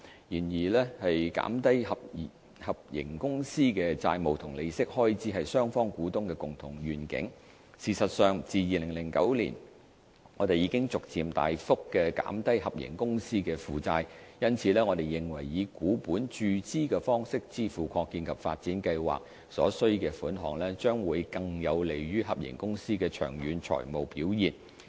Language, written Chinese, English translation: Cantonese, 然而，減低合營公司的債務及利息開支是雙方股東的共同願景，事實上自2009年我們已逐漸大幅降低合營公司的負債，因此我們認為以股本注資的方式支付擴建及發展計劃所需的款額，將會更有利於合營公司的長遠財務表現。, However it is the common vision of both shareholders to reduce debt and interest expenses of HKITP and we have indeed since 2009 deleveraged HKITP considerably . Therefore we consider that funding the expansion and development plan through equity injection will be more conducive to the long - term financial performance of HKITP